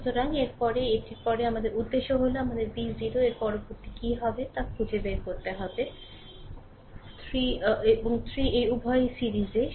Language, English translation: Bengali, So, after this after this our objective is that we have to find out v 0 right next what will happen this 3 this 3 and 3 both are in series